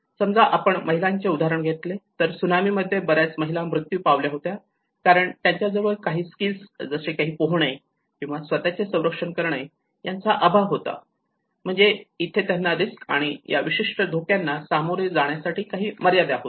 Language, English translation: Marathi, Let us say for women who have lost their lives in the tsunami many of them were woman because they are lack of certain skills even swimming or protecting themselves so which means there is a skill or there is a limited access for them in facing the risk, facing that particular shock